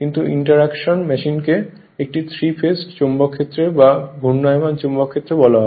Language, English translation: Bengali, But in the you are what you call in the interaction machine it will be 3 phased magnetic field the rotating magnetic field